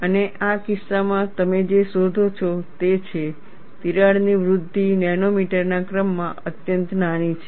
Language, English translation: Gujarati, And in this case, what you find is, the crack growth is extremely small, of the order of nanometers